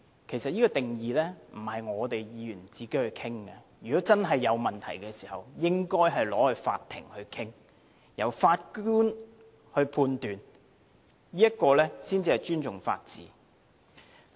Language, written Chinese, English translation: Cantonese, 其實，定義不是由我們議員自行商討的，如果真的有問題，應該交由法庭審理，由法官判斷，這才是尊重法治。, In fact it is not us Members who should work out the definition on our own . Should a question of law really arise it should be brought before a court for the judge to make the ruling . The rule of law will only be upheld this way